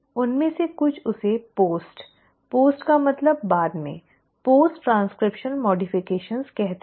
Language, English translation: Hindi, Some of them will also call this as post, post means after, post transcriptional modifications